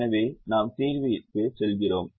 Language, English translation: Tamil, so we move to the solver